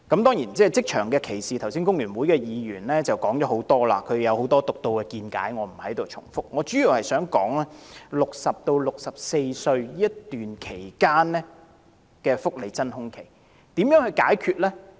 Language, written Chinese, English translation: Cantonese, 當然，關於職場歧視，工聯會的議員剛才已提出了很多獨到見解，我不在此重複，我主要想談談60歲至64歲這段期間的福利真空期，該如何解決呢？, Certainly regarding discrimination in the workplace just now Members of the Hong Kong Federation of Trade Unions already raised a lot of insightful views which I am not going to repeat here . I mainly wish to talk about how the welfare void of period between the age of 60 and 64 should be resolved